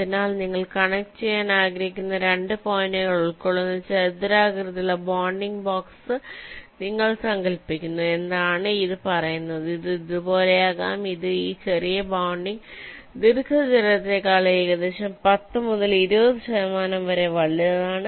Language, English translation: Malayalam, so what it says is that you imaging a rectangular bounding box which encloses the two points that you want to connect may be like this, which is, say, approximately ten to twenty percent larger than this smallest bounding rectangle